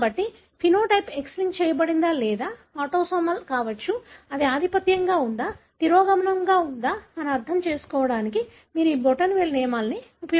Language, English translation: Telugu, So, you use these thumb rules to understand whether the phenotype could be X linked or autosomal, whether it is dominant, recessive